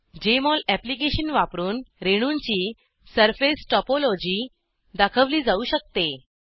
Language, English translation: Marathi, Surface topology of the molecules can be displayed by using Jmol Application